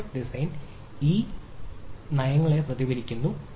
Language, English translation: Malayalam, the network design should reflect ah these policies